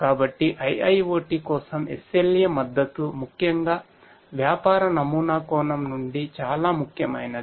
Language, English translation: Telugu, So, SLA support for IIoT is crucial particularly from a business model point of view